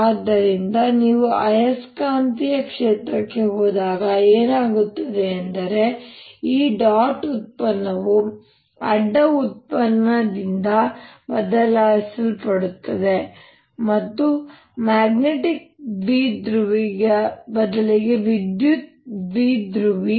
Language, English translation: Kannada, so what is happening when you go to magnetic field is this dot product is getting replaced by a cross product and instead of the magnetic dipole electric dipole